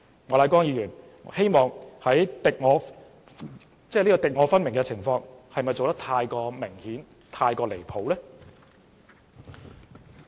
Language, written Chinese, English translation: Cantonese, 莫乃光議員這種敵我分明的態度，是否做得太明顯，又太離譜呢？, If so will Mr Charles Peter MOKs attitude of either friend or foe being too obvious and outrageous?